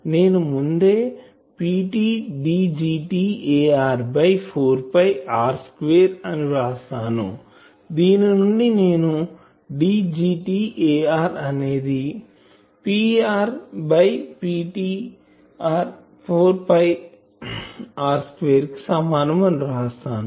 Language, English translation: Telugu, So, that is P t D gt A r by 4 pi R square, from here can I write D gt A r is equal to P r by P t, 4 pi R square ok